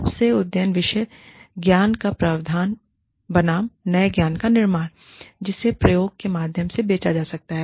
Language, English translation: Hindi, Provision of most updated specialized knowledge, versus, creation of new knowledge, that can be sold through, expense of experimentation